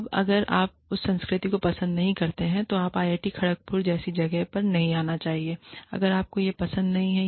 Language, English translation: Hindi, Now, if you do not like that culture, then you should not come to a place like, IIT, Kharagpur, if you do not enjoy that